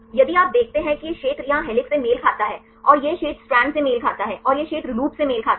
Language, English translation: Hindi, Also if you see this region corresponds to helix here, and this region corresponds the strand and this region corresponds the loop right